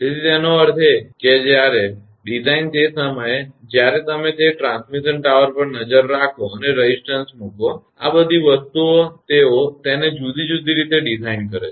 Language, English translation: Gujarati, So; that means, when the design just when you look into that transmission tower and putting resistance; all these things they design it in different way